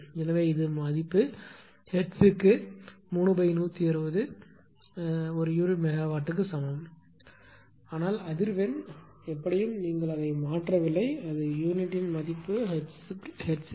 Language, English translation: Tamil, So, this is the value d is equal to 3 upon 160 per unit megawatt per hertz, but frequency anyway you are not changing to its per unit value frequencies its original value original unit that is hertz right